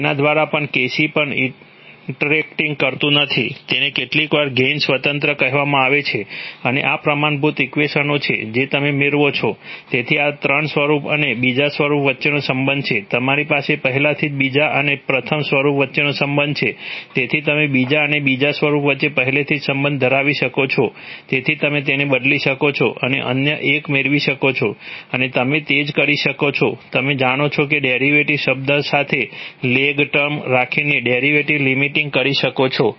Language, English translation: Gujarati, That, that even a by, even Kc is not interacting, it is sometimes called gain independent and these are the standard equations which you get by, so this is the relationship between the third form and the second form, you already have a relationship between the second and the first, so you can substitute and get the other one and you can similarly do a, do a derivative limiting by having another, you know, lag term with the derivative term